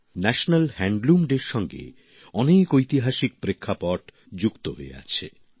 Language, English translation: Bengali, National Handloom Day has a remarkable historic background